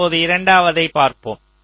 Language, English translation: Tamil, and what about the second one